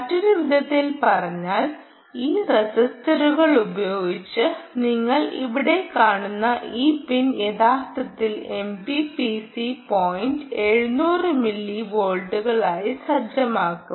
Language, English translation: Malayalam, in other words, this pin that you see here, with this registers that are here, ah, with these, this resisters, this resisters here, will actually set the ah m p p c point to seven hundred millivolts